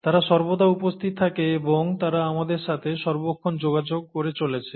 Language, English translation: Bengali, They are present all the time, and they are interacting with us all the time